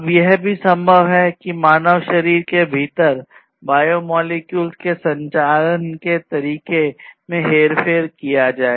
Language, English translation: Hindi, Now, it is also possible to manipulate the way the biomolecules within a human body they operate